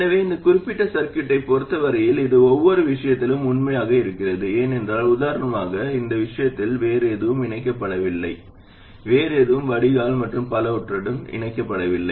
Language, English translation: Tamil, So that is as far as this particular circuit is concerned and this is true in every case because just for biasing, for instance in this case nothing else is connected, in this case nothing is connected to the drain and so on